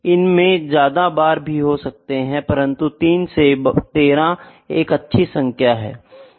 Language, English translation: Hindi, It can have more bars, but 3 to 14 is a good number to be selected